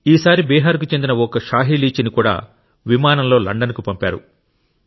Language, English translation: Telugu, This time the Shahi Litchi of Bihar has also been sent to London by air